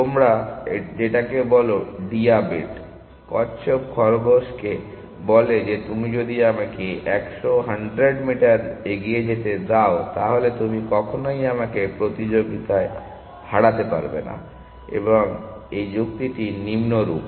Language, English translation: Bengali, That you say that the diabet, the tortoise tells the rabbit that i if you give me a lead of let us 100 meters then you can never beat me in the race and this argument is the following